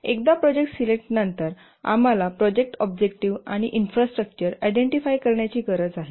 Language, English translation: Marathi, Once the project has been selected, we need to identify the project objectives and the infrastructures